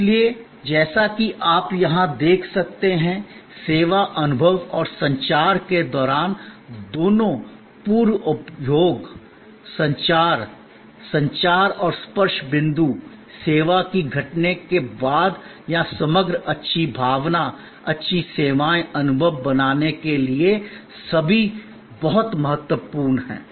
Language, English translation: Hindi, So, as you can see here, both pre consumption, communication, communication and touch points during the service experience and communication after the service incidence or are all very important to create an overall good feeling, good services, experience